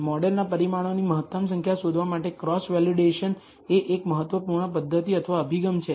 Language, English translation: Gujarati, So, cross validation is a important method or approach for finding the optimal number of parameters of a model